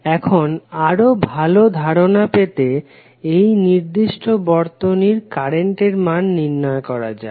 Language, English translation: Bengali, Now, to get the idea more clear, let us try to find out the value of current I in this particular circuit